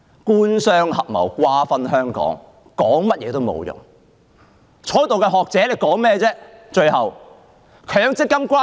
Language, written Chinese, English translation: Cantonese, 官商合謀，瓜分香港，說甚麼也沒用，在座的學者又在白說些甚麼呢？, The Government and the business sector act in collusion to carve up Hong Kong . It is pointless to say anything . What nonsense are the scholars here talking about?